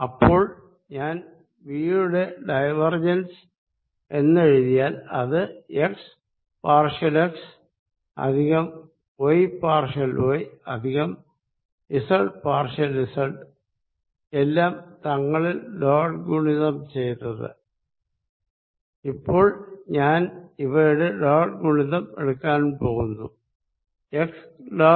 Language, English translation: Malayalam, So, that when I write divergence of v it is partial x plus y partial y plus z partial z dotted with and I am going to take dot product first x v x plus y v y plus z v z, if I take dot product x dot x gives me 1